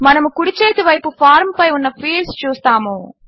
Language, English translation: Telugu, On the right hand side we see fields on the form